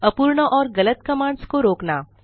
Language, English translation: Hindi, interrupt incomplete or incorrect commands